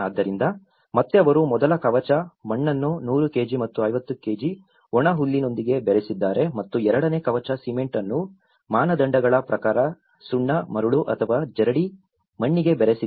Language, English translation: Kannada, So, in render again they have mixed about first coat mud is to straw with 100 kg and 50 kg and second coat cement is to lime, sand or sieved soil as per the standards